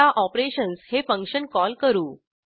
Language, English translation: Marathi, Now we call the function operations